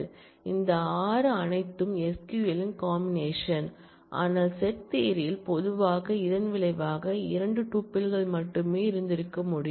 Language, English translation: Tamil, So, you will have all possible combinations all these 6 are the result in the SQL whereas, in set theory typically the result should have been only these 2 tuples